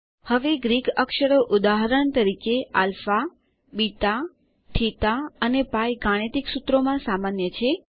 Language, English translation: Gujarati, Now Greek characters, for example, alpha, beta, theta and pi are common in mathematical formulas